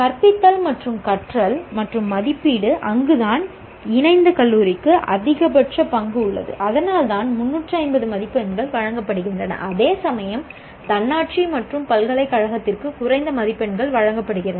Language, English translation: Tamil, Teaching, learning and evaluation, that is where the affiliated college has maximum role to play and that's why 350 marks are given, whereas less marks are given for autonomous and university